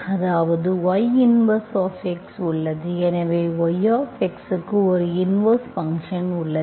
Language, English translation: Tamil, So you have an inverse function for yx, that exists